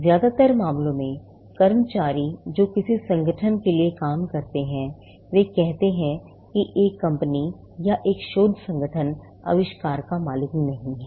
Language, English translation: Hindi, In most cases, employees who work for an organization, say a company or a research organization, do not own the invention